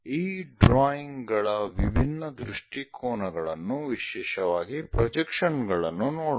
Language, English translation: Kannada, Let us look at different perspectives of this drawings, especially the projections